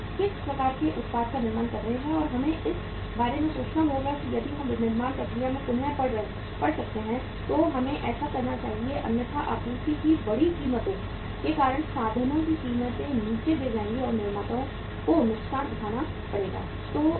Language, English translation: Hindi, What kind of the product we are manufacturing and we will have to think about that if we can readjust the manufacturing process we should do like that otherwise the prices of the means because of the increased supply prices will fall down and the manufacturers have to suffer the loss